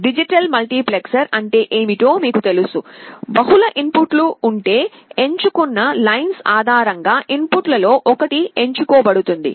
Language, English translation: Telugu, You know what is the digital multiplexer is; if there are multiple inputs, one of the inputs are selected based on the select lines